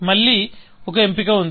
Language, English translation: Telugu, So, I have a choice here